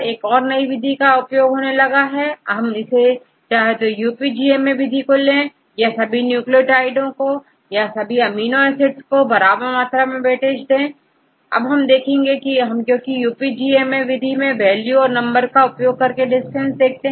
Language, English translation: Hindi, Then recently they had developed another method right, whatever we use, the UPGMA method, we consider all the nucleotides all the amino acids with equal weightage, and because what is the value, number we use from UPGMA method